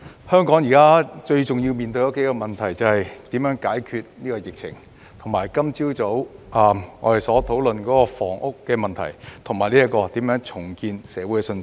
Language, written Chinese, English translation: Cantonese, 香港現時面對的數個最重要問題，是解決疫情、我們今早討論的房屋問題，以及重建社會信心。, The several most important issues in Hong Kong now are overcoming the epidemic resolving housing problems which we discussed this morning and rebuilding public confidence